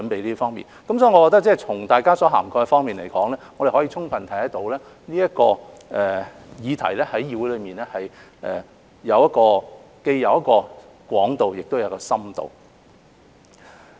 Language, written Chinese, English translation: Cantonese, 因此，我認為從大家發言中所涵蓋的方面而言，可充分看到這個議題在議會內既有廣度，亦有深度。, Therefore I think that the coverage of Members speeches has reflected both the breadth and depth of the discussion on this subject in this Council